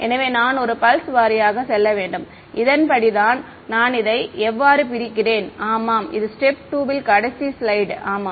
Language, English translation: Tamil, So, I have to go pulse by pulse that is how I split this up yeah this is the last slide yeah so in step 2